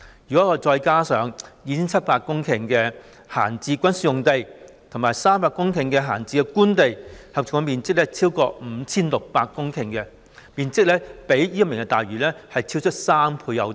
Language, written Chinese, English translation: Cantonese, 如果再加上 2,700 公頃的閒置軍事用地及300公頃的閒置官地，合共面積便超過 5,600 公頃，面積較推行"明日大嶼願景"可獲得的土地超出3倍有多。, If the 2 700 hectares of idle military sites and 300 hectares of idle government land are added to the total area it will exceed 5 600 hectares and this area is more than three times the land that can be obtained by implementing the Vision